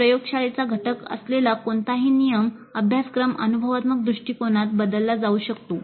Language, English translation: Marathi, Any regular course which has a lab component can be turned into an experiential approach